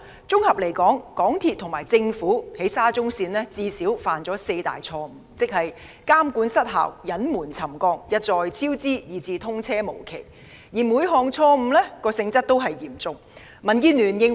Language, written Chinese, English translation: Cantonese, 綜合而言，港鐵公司及政府就沙中線項目最少犯了四大錯誤：監管失效、隱瞞沉降、一再超支，以至通車無期，而每項錯誤均嚴重。, In sum MTRCL and the Government have made at least four major mistakes in the SCL Project ineffective monitoring concealment of settlement recurrent cost overruns and indefinite date of commissioning which are all grave mistakes